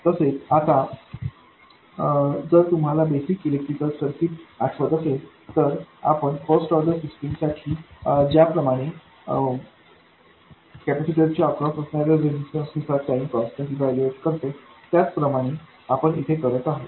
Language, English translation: Marathi, Now again if you recall basic electrical circuits, the way you evaluate time constants in a first order system is by looking at the resistance that appears across a capacitor